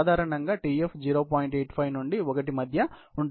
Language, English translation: Telugu, 85 to 1